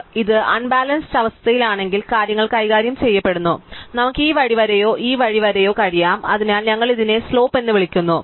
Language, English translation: Malayalam, So, if it is unbalance then thing is treated, so we could have tilt this way or tilt this way, so we call this the slope